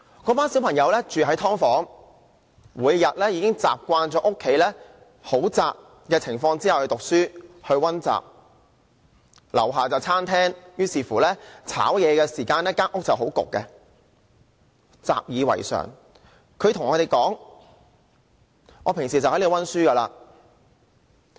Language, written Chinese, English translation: Cantonese, 那群小朋友住在"劏房"，已經習慣每天在狹窄的家中讀書和溫習；樓下是餐廳，炒菜時間家裏會很翳焗，但他們習以為常，平時就在那裏溫習。, They are accustomed to reading and studying in their tiny flats . There is a restaurant on the ground floor of their building which makes their flat suffocating during cooking time . They adapt to their situation well and study there as usual